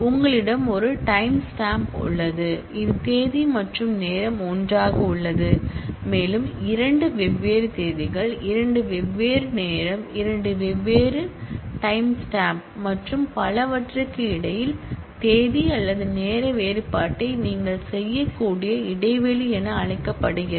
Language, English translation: Tamil, You have a timestamp, which is date and time together and you have what is known as interval where you can do a date or time difference between two different dates, two different time, two different time stamps and so on